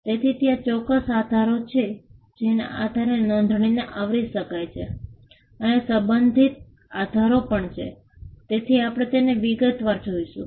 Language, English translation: Gujarati, So, there are absolute grounds on which, registration can be refused and there are also relative grounds; so, we will see them in detail